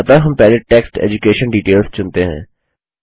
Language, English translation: Hindi, So first select the heading EDUCATION DETAILS